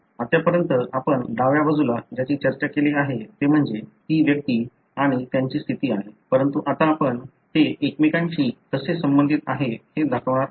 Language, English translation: Marathi, So far what we have discussed on the left side is individuals and their status, but now we are going to show how they are related to each other